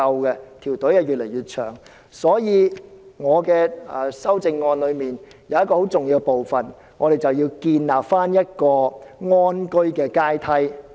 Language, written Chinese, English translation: Cantonese, 因此，我的修正案有一重要部分，就是要建立安居的階梯。, Hence an integral part of my amendment is about establishing a ladder for adequate housing